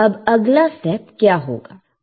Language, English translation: Hindi, Now what is next step